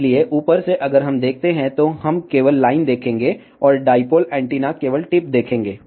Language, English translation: Hindi, So, from the top, if we see, we will only see the line and the dipole antenna will only see the tip